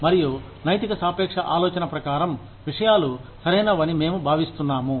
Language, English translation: Telugu, And, according to the ethical relativistic thinking in, we feel that, things are right